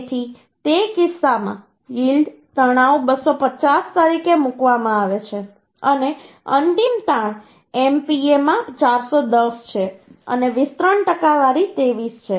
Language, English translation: Gujarati, So in that case the yield stress is put as a 250 and ultimate stress is 410 in MPa and elongation percentage is 23